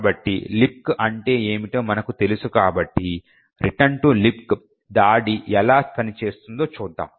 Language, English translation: Telugu, So, given that we know that what LibC is let us see how a return to LibC attack actually works